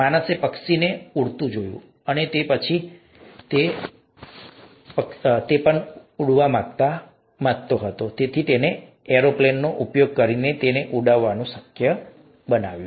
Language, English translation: Gujarati, Man saw a bird flying, he or she wanted to fly that way, and therefore made it possible to fly that way using airplanes